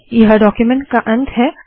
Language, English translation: Hindi, This is the end of the document